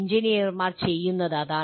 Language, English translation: Malayalam, That is what the engineers do